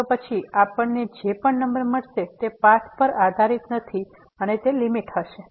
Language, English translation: Gujarati, So, then whatever number we get that does not depend on the path and that will be the limit